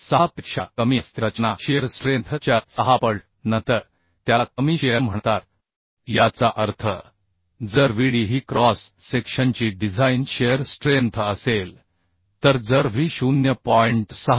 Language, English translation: Marathi, 6 time that design shear strength then it is called low shear that means if Vd is a design shear strength of the cross section then uhh if V less than 0